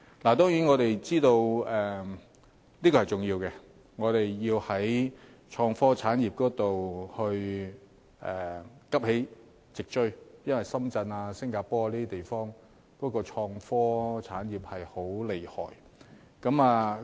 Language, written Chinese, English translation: Cantonese, 當然，我們知道這是重要的，要在創科產業方面急起直追，因為深圳、新加坡等地的創科產業很厲害。, Certainly we know that it is important to catch up in innovation and technology industries because such places as Shenzhen and Singapore are doing great in these fields